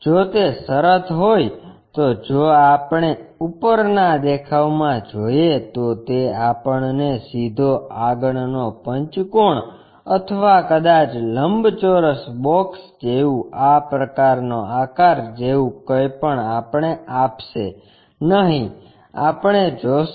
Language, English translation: Gujarati, If that is the case, if we are looking at top view it will not give us straight forward pentagon or perhaps something like a rectangular box something like this kind of object shape we will see